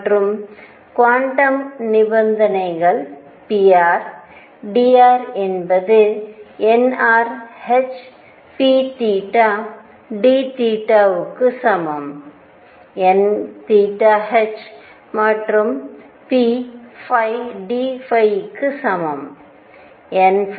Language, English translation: Tamil, And the quantum conditions are pr dr is equal to nr h p theta d theta is equal to n theta h and p phi d phi is equal to n phi h